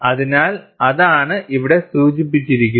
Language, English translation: Malayalam, So, that is what is indicated here